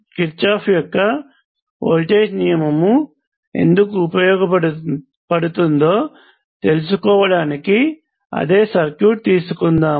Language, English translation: Telugu, Now what are the conditions under which the Kirchhoff’s voltage law is true